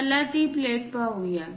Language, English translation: Marathi, Let us look at that plate